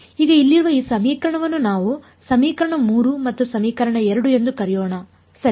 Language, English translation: Kannada, Now this equation over here let us call as equation 3 and equation 2 right